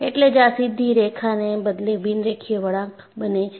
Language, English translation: Gujarati, That is why this is a non linear curve rather than a straight line